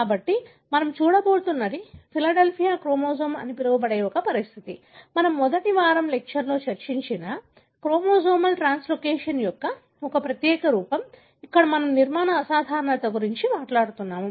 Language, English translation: Telugu, So, what we are going to look at is a condition called as Philadelphia chromosome, a particular form of chromosomal translocation that we discussed in the first week of lecture, where we are talking about structural abnormality